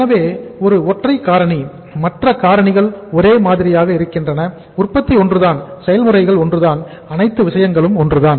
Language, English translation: Tamil, So one single factor, other factors remaining the same; production is same, your uh processes are same, your entire thing is same